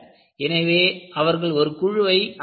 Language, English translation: Tamil, So, they formulated a committee